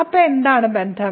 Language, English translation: Malayalam, So, what is the relation